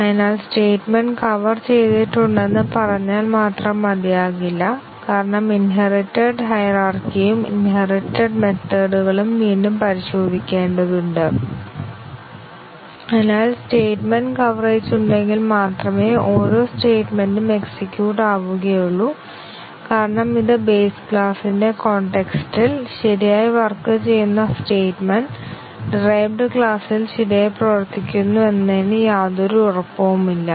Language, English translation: Malayalam, So, just saying that the statement has been covered is not enough because of the inheritance hierarchy and inherited methods which need to be retested therefore, just having statement coverage each statement is executed once does not mean much because testing it, in the sense in the context of the base class is no guarantee of the statement working correctly in the derived class